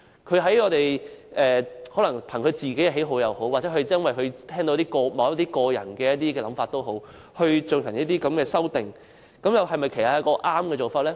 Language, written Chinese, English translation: Cantonese, 他可能憑個人喜好或因為他聽到某些人的想法，故此提出這項修正案，這樣又是否正確的做法呢？, He might have proposed this amendment out of his personal preference or because he has listened to certain peoples views . Is this a correct way of working?